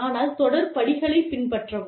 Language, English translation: Tamil, But, do follow, the series of steps